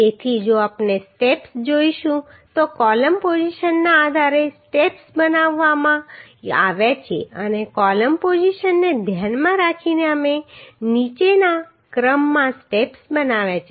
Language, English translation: Gujarati, So if we see the steps the steps are made based on the column positions and in the means considering the column positions we have made the steps in the following order